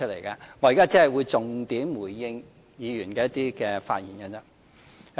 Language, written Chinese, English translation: Cantonese, 我現在只會重點回應議員的發言而已。, I will just a give focused response to Members speeches